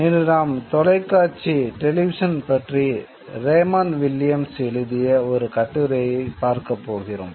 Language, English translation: Tamil, Today we are going to study an essay by Bramond Williams on the television